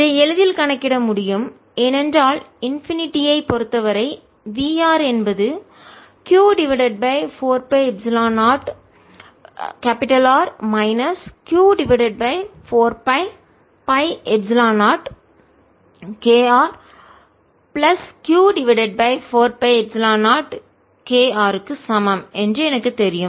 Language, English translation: Tamil, so i get v at r minus v at r, for r less than equal to r is equal to q over four pi epsilon zero k one over r minus one over r, and therefore v of r is equal to v of capital r minus q over four pi epsilon zero k r plus q over four pi epsilon zero k r